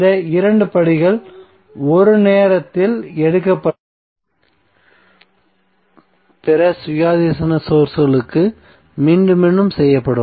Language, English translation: Tamil, So these 2 steps would be repeated for other independent sources taken one at a time